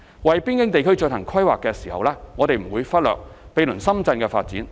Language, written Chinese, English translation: Cantonese, 為邊境地區進行規劃時，我們不會忽略毗鄰深圳的發展。, In the course of land planning for the border areas we will not lose sight of the development of the neighbouring Shenzhen